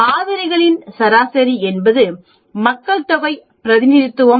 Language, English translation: Tamil, That means, the means of the sample are representation of the population mean